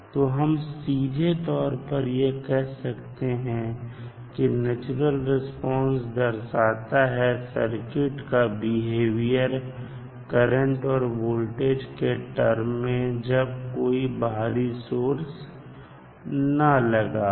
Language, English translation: Hindi, So, we can simply say that natural response of the circuit, refers to the behavior that will be in terms of voltage and current of the circuit itself with no external sources of excitation